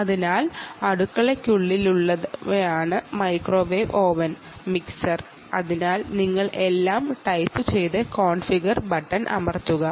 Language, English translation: Malayalam, so you just type all that and then just press configure button